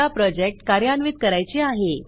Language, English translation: Marathi, The next step is to run our project